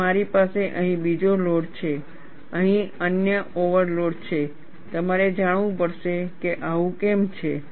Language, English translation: Gujarati, And I have another overload here; another overload here; you have to know why is this so